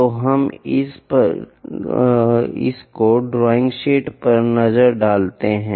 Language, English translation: Hindi, So, let us look at on this drawing sheet